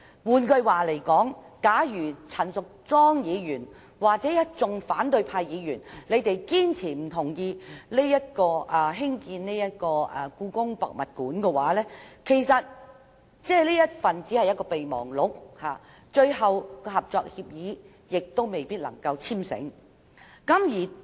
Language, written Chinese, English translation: Cantonese, "換句話說，假如陳議員或一眾反對派議員堅決反對興建故宮館，雖然已簽訂備忘錄，最終合作協議亦未必能簽成。, In other words if Ms CHAN or any opposition Members resolutely oppose the building of HKPM the final cooperation agreement might not be signed in the end despite the signing of an MOU